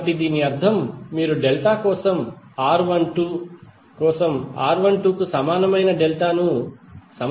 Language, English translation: Telugu, So that means that, you have to equate R1 2 for star equal to R1 2 for delta